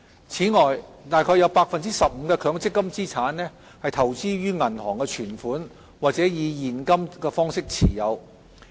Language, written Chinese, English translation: Cantonese, 此外，約有 15% 的強積金資產投資於銀行存款，或以現金方式持有。, In addition around 15 % of MPF assets are invested in bank deposits or held in cash